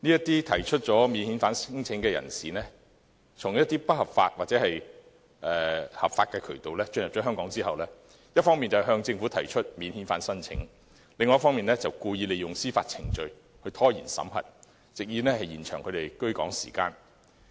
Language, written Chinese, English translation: Cantonese, 這些免遣返聲請人士從一些不合法或合法渠道進入香港後，一方面向政府提出免遣返聲請，另一方面故意利用司法程序拖延審核，藉以延長他們的居港時間。, After entering Hong Kong through illegal or legal means these people lodge non - refoulement claims to the Government and at the same time deliberately make use of the statutory procedure to stall the screening process so as to protract their stay in Hong Kong